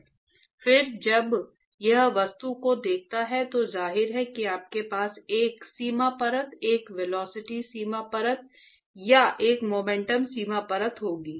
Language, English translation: Hindi, Then when it sees the object, obviously you are going to have a boundary layer, a velocity boundary layer or a momentum boundary layer